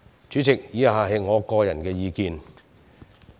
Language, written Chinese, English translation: Cantonese, 主席，以下是我的個人意見。, President the following are my personal views